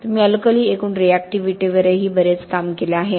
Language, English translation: Marathi, You have done a lot of work also on alkali aggregate reactivity